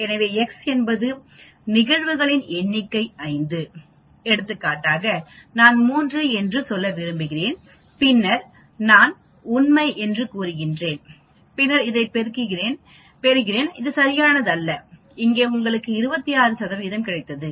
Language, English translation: Tamil, So, x is the number of events 5 for example, I want to look at say 3 and then I say true and then I get this, it gives you something here which is not correct, we got 26 percent